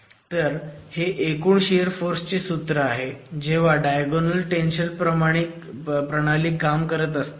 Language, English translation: Marathi, So, this is the expression for ultimate shear force when a diagonal tension mechanism is occurring